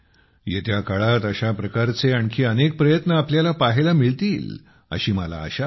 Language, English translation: Marathi, I hope to see many more such efforts in the times to come